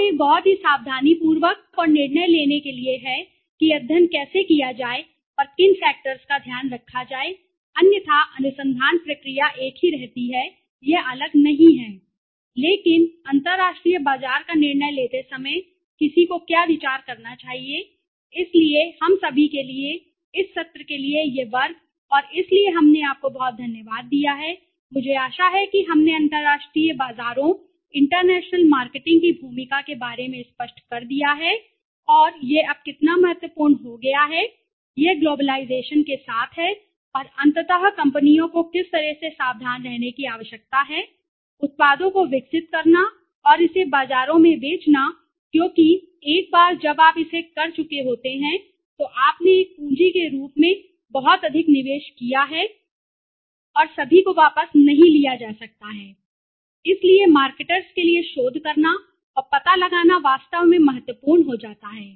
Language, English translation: Hindi, And one is to very careful and deciding how to conduct the study and what factors to be taken care of otherwise the research process remains the same it is not different but what thinks should one consider while deciding the international market right so that s all we have for this class for this session and so we have it thank you very much I hope we made it clear about the role of the international markets, international marketing and how important it has become now it is with globalization and ultimately how companies need to very careful in developing products and selling it to the markets because once you have done it you have invested a lot into the capital as a capital and all and that cannot be taken back so it becomes really important for marketers to research and find out there is a saying the P&G DOES research and research and research when it comes with a solution to the market then it is time for others to give way so that is the kind of research this companies are doing and that is why they have been successful and those companies who have not been enough able to do good research in the international markets they have miserably failed or they have lost heavily and they have been out of the market thank you very much